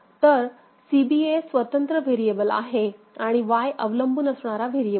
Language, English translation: Marathi, So, C B A is independent variable and Y is the dependent variable